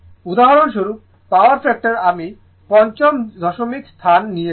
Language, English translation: Bengali, For example, power factor I have taken the fifth decimal place